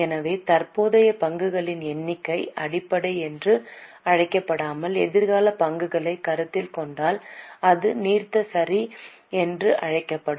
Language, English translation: Tamil, So, the current number of shares if we consider it is called basic and if we consider future shares it will be called as diluted